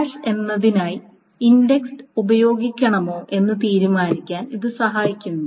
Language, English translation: Malayalam, Again this helps to decide whether to use the index for hash join and etc